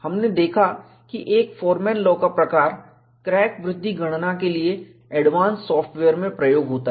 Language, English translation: Hindi, We saw that a variation of Forman law is used in advanced software for crack growth calculation